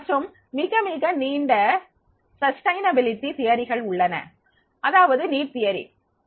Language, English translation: Tamil, The very, very long sustainable theory is that is the need theory